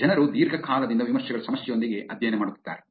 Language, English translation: Kannada, People have been studying with reviews problem for a long, long time